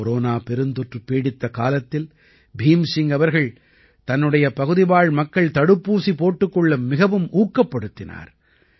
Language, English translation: Tamil, When the terrible Corona crisis was looming large, Bhim Singh ji encouraged the people in his area to get vaccinated